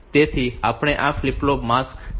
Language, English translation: Gujarati, So, we have got these flip flops mask 7